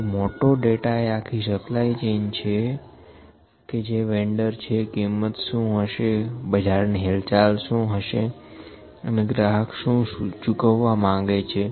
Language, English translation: Gujarati, So, big data is whole supply chain, who is the vendor, what are the prices, what are the market trends and what would the, what would customer like to pay